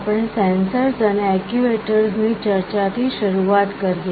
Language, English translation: Gujarati, We continue with our discussion on Sensors and Actuators